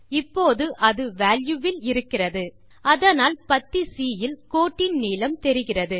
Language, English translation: Tamil, Right now its at value so you see the length of the line in the column C